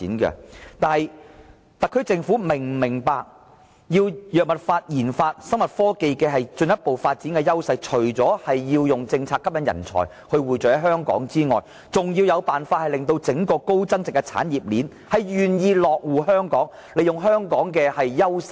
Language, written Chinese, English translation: Cantonese, 但是，特區政府是否明白，進一步發展藥物研發、生物科技的優勢，除了制訂政策吸引人才匯聚在香港外，還要設法令整個高增長的產業鏈願意在香港落戶，利用香港的優勢。, But I wonder if the Government can understand one thing concerning the further development of our advantages in pharmaceutical research and biotechnology . The thing is that apart from formulating policies to draw talents to Hong Kong we must somehow make those engaged in the entire high - growth industrial chain willing to stay in Hong Kong to exploit our advantages including our strength in product certification and quality accreditation